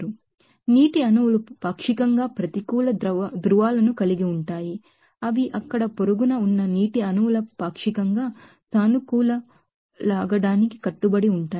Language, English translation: Telugu, So, water molecules are partially that having negative poles that is stick to that partially positive pulls of neighboring water molecules there